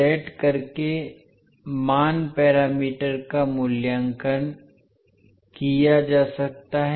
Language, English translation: Hindi, The value parameters can be evaluated by setting V2 is equal to 0